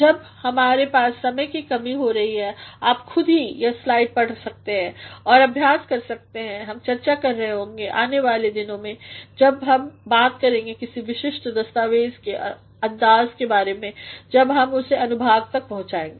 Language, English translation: Hindi, Since we are having a paucity of time you can yourself read this slide, and can practice; we shall be discussing further in the days to come when we shall be talking about the style of a particular document, when we reach that section